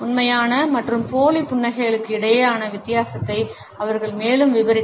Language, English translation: Tamil, They further described the difference between the genuine and fake smiles